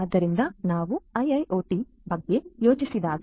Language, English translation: Kannada, So, you know when we think about IIoT